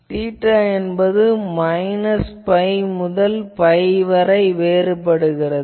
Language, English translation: Tamil, Now, what is the theta, theta can vary from minus pi to plus pi